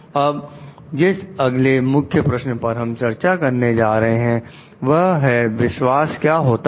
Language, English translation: Hindi, Next Key Question that we are going to discuss are what is trust